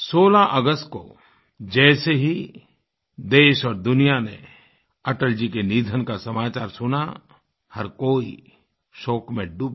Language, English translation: Hindi, As soon as the people in our country and abroad heard of the demise of Atalji on 16th August, everyone drowned in sadness